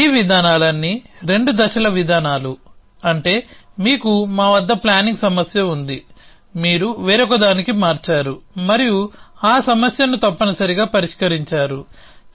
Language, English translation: Telugu, All these approaches were 2 stage approaches which means you have at we have a planning problem, you converted into something else and solve that problem essentially